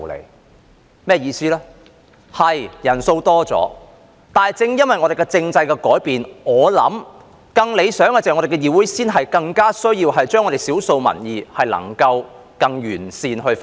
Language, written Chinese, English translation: Cantonese, 我的意思是：確實，人數是增加了，但正因為我們政制的改變——我相信更理想的是——議會才更需要把少數民意更完善地反映。, What I mean is It is true that the number of Members has increased but it is precisely because of the changes in our political system that I believe it is more desirable and more necessary for the legislature to better reflect the views of the minority in the community